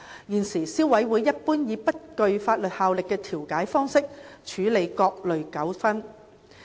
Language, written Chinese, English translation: Cantonese, 現時，消委會一般以不具法律效力的調解方式處理各類糾紛。, At present the Consumer Council normally handles various types of disputes by way of mediation which has no legal effect